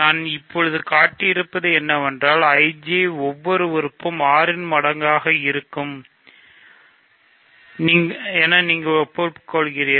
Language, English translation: Tamil, So, what I have just shown is that every element of IJ is a multiple of 6, you agree, ok